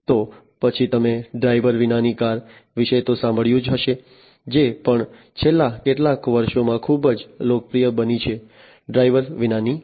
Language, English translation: Gujarati, Then you must have heard about the driverless cars, which has also become very popular in the last few years, the driverless cars